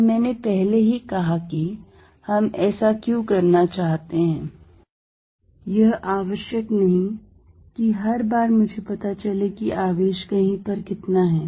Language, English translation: Hindi, Now, I already said why do we want to do that is, that not necessarily every time I will be knowing what the charge is somewhere